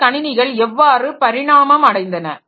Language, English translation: Tamil, So, how did this computer systems evolve